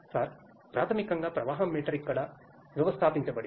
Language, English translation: Telugu, Sir, basically the flow meter is installed here